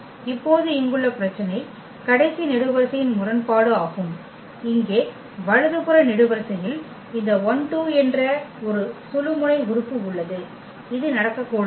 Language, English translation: Tamil, Now, the problem here is the inconsistency the last column the right most column here has a pivot element here this 12 which should not happen